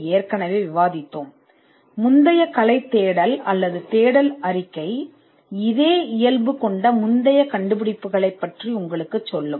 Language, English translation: Tamil, Because the prior art search or the search report will tell you the earlier inventions of a similar nature